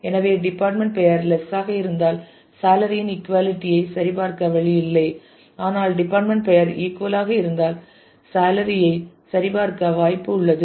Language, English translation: Tamil, So, if there is if department name is less than is there is no way to check for the equality of salary, but if the department name equals then there is a possibility of checking on the salary